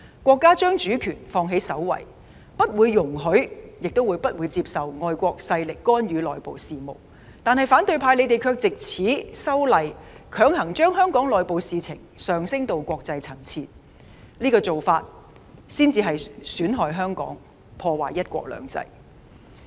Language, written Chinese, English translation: Cantonese, 國家將主權放在首位，不容許亦不接受外國勢力干預內部事務，但反對派卻藉修例強行將香港內部事務提升到國際層次，這才是損害香港、破壞"一國兩制"的做法。, The State has made sovereignty the top priority neither allowing nor accepting foreign interference in internal affairs . But the opposition camp has forcibly escalated the internal affairs of Hong Kong to the international level . That is precisely what jeopardizes Hong Kong and undermines one country two systems